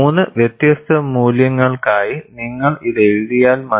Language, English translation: Malayalam, It is enough if you write for 3 different values